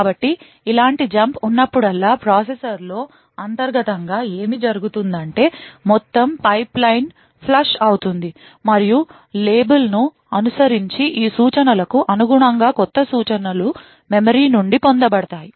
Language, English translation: Telugu, So, whenever there is a jump like this what would happen internally in a processor is that the entire pipeline would get flushed and new instructions corresponding to these instructions following the label would get fetched from the memory